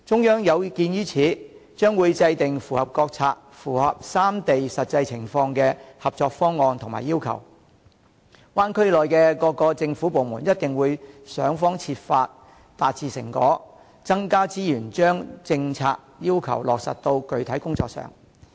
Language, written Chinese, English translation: Cantonese, 有見及此，中央將會制訂符合國策、三地實際情況的合作方案及要求，灣區內的各政府部門一定會想方設法達致成果，增加資源把政策要求落實到具體工作上。, In view of this the Central Government formulates cooperative proposals and requirements that fit its national strategies and the actual situations of the three places; and governments in the Bay Area also strive to deliver results and use more resources to implement these national strategies and requirements into actual work